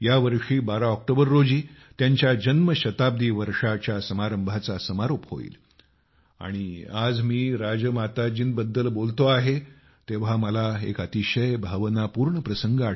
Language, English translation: Marathi, This October 12th will mark the conclusion of her birth centenary year celebrations and today when I speak about Rajmata ji, I am reminded of an emotional incident